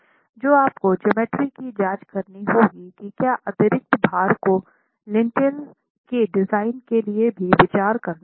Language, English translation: Hindi, So you will have to check the geometry to be able to estimate what additional loads would have to be considered for the design of the Lintel itself